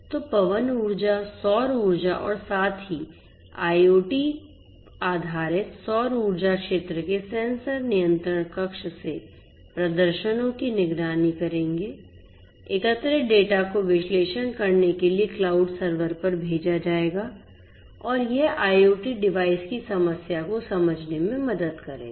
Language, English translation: Hindi, So, wind energy solar energy as well IoT based solar energy sector sensors would monitor the performances from the control panel, the gathered data will be sent to the cloud server to analyze and this IoT would help to understand the problem of device whether it is the hardware related problem or the network related problem